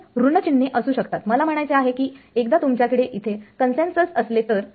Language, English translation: Marathi, Negative signs may be there I mean this is once you have consensus over here